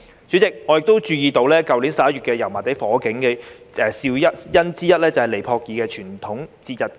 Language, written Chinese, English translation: Cantonese, 主席，我亦注意到，去年11月油麻地火警的肇因之一，就是尼泊爾傳統節日——排燈節。, President I have also noticed that one of the causes of the fire in Yau Ma Tei last November was the traditional Nepalese festival of Diwali